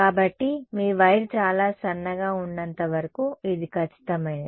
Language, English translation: Telugu, So, as long as your wire is very thin, this is exact